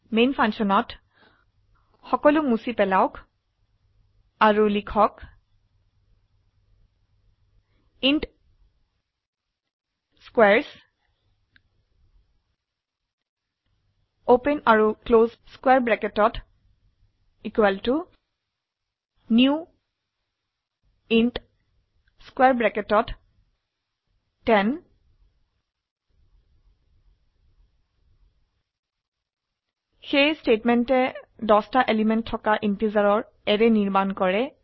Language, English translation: Assamese, Remove everything in main function and type int squares [] = new int [10] This statement creates an array of integers having 10 elements